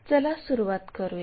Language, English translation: Marathi, Let us begin